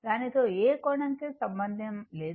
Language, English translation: Telugu, No angle associated with that